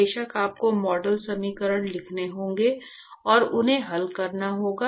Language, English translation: Hindi, Of course, you will have to write model equations and solve them